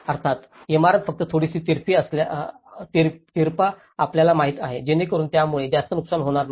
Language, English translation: Marathi, Obviously, the building can only you know tilt a bit, so that it will not affect much damage